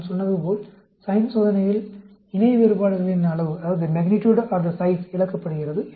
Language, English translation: Tamil, Like I said, sign test, the magnitude or the size of the paired differences is lost